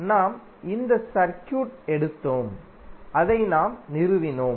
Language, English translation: Tamil, We took this circuit and we stabilized that